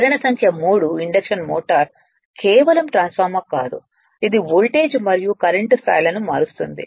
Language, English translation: Telugu, The indu[ction] number 3 the induction motor is not merely a transformer which changes voltage and current levels